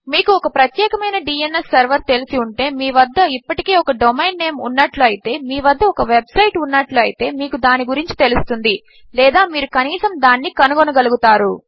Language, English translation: Telugu, If you know a specific DNS Server, if you have a domain name already, if you have a website you will know it or you will be able to find it, at least